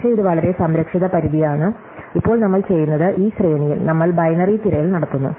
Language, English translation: Malayalam, But, this is a very conservative bound, now what we do is, we do in this range, we do binary search